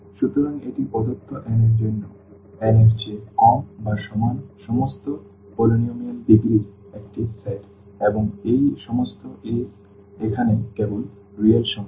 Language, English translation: Bengali, So, this is a set of all polynomials of degree less than or equal to n for given n and all these a’s here are just the real numbers